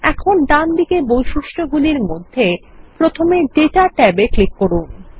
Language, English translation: Bengali, Now in the properties on the right, let us click on the Data tab first